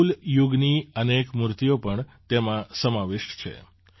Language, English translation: Gujarati, Many idols of the Chola era are also part of these